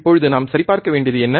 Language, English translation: Tamil, Now, what we have to check